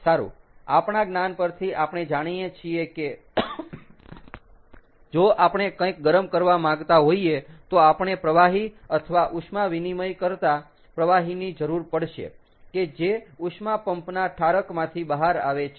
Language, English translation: Gujarati, well, from our knowledge, we know that the if we want to heat up something, we have to use the fluid, or the, or the, or the heat exchange fluid that comes out of the condenser in a heat pump, right